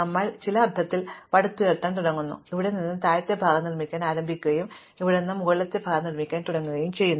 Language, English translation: Malayalam, So, you start building up in some sense, the you start building up the lower side from here and you start building up the upper side from here